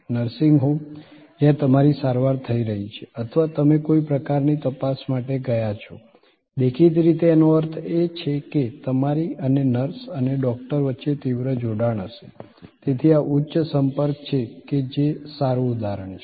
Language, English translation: Gujarati, So, nursing home, where you are getting treated or you have gone for some kind of check up; obviously, means that between you and the nurse and the doctor, there will be intense engagement, so this is high contact, a good example